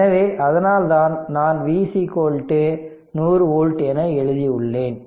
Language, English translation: Tamil, So, that is why I have written V is equal to 100 volts